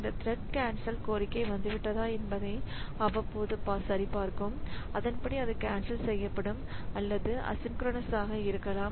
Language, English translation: Tamil, So this thread will periodically check whether the cancellation request has come and then accordingly it will cancel it or it may be asynchronous